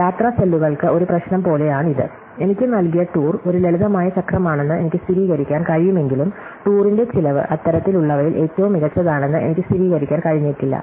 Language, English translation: Malayalam, This is like that traveling salesman problem, when I can verify that the tour to given to me is a simple cycle, but I may not be able to verify that the cost of the tour is the best among all such